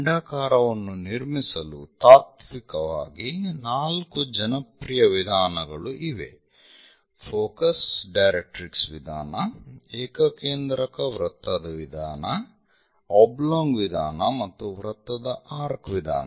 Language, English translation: Kannada, So, in principle to construct ellipse, the popular methods are four focus directrix method, a concentric circle method, oblong method and arc of circle method